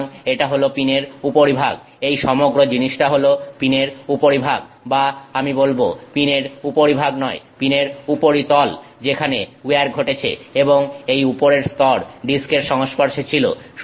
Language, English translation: Bengali, So, this is the top of the pin, the whole thing is the top of the pin or I won't say top of the pin, surface of the pin that underwent where that was subject to where